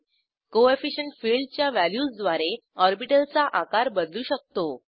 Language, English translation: Marathi, Using Coefficient field values, we can vary the size of the orbital